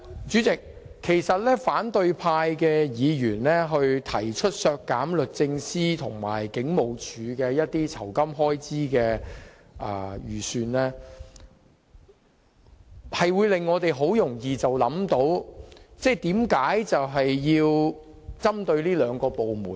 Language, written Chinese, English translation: Cantonese, 主席，反對派議員提出削減律政司和香港警務處的預算開支，很容易令我們思考他們為何要針對這兩個部門。, Chairman the opposition Members proposals on reducing the estimated expenditures of the Department of Justice and the Hong Kong Police Force naturally make us wonder why they want to pick on these two government departments